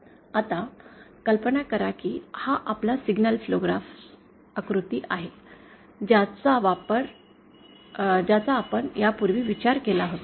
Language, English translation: Marathi, Now imagine this is the signal flow graphs diagram which we were considering earlier